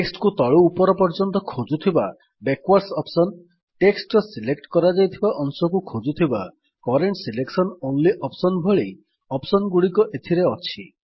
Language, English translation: Odia, It has options like Backwards which searches for the text from bottom to top, Current selection only which searches for text inside the selected portion of the text